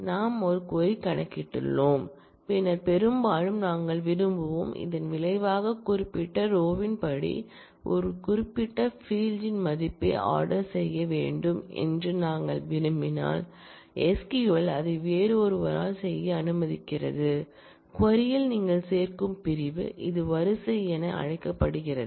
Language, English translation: Tamil, let us say, we have computed a query and then often we would want, that the result be ordered in according to certain order particularly the value of certain field if we want the result to be ordered, then SQL allows you to do that by another clause that you add to the query, which is called order by